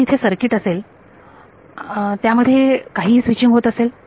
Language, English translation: Marathi, There is some circuit, there is some switching happening